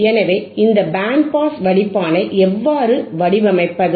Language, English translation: Tamil, So, how to design this band pass filter